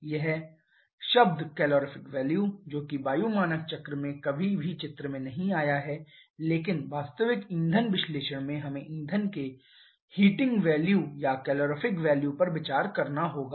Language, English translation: Hindi, Now this term calorific value that never came into picture in air standard cycle but in a real fuel analysis we have to consider the heating value or calorific value of the fuel